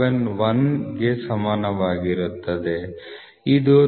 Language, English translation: Kannada, 571 which is nothing but 39